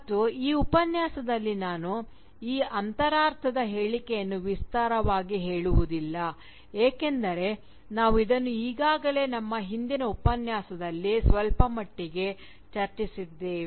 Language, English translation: Kannada, ' And, I will not elaborate on this cryptic statement in this lecture because we have already discussed this, quite a bit, in our previous lecture